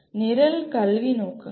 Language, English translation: Tamil, Program Educational Objectives